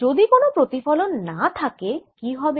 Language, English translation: Bengali, suppose there is no reflection